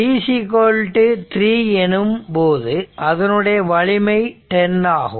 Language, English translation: Tamil, So, at t is equal to 3 it is strength is 10